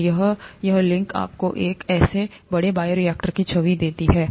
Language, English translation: Hindi, And this link here gives you an image of one such large bioreactor